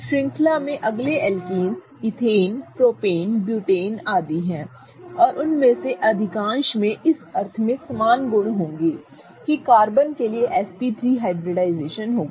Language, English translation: Hindi, Next, alkanes in the series are ethane, propane, and so on and most of them will have similar properties in the sense that the hybridization will be SP3 for the carbon